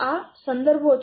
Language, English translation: Gujarati, So, these are the references